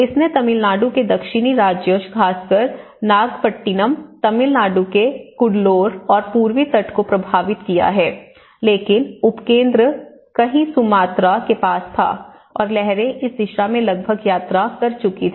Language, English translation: Hindi, And it has affected the Tamil Nadu, the southern state of Tamil Nadu especially in the Nagapattinam and of course the Cuddalore and the East Coast of the Tamil Nadu but the epicenter was somewhere near Sumatra and waves have traveled almost in this direction